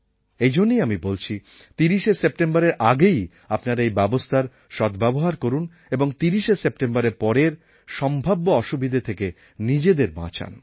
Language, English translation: Bengali, And so I say that please avail of this facility before this date and save yourselves from any possible trouble after the 30th of September